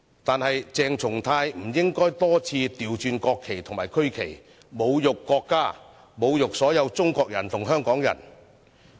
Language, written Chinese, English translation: Cantonese, 然而，鄭松泰議員不應該多次倒轉國旗及區旗，侮辱國家、侮辱所有中國人和香港人。, However Dr CHENG Chung - tai should not have inverted the national flags and regional flags time and again to insult the country and to insult all Chinese people and Hongkongers